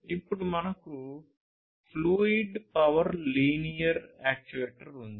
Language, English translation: Telugu, Then you have the fluid power linear actuator